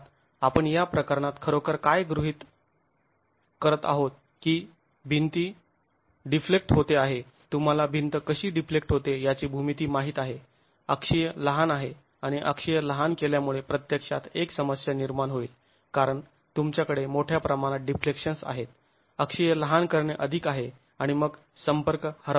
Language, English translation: Marathi, Of course what we are actually assuming in this case is that as the wall deflects, you know for geometry as the wall deflects the there is axial shortening and that axial shortening is going to actually create a problem because you have large deflections the axle shortening is more and then the contact is going to be lost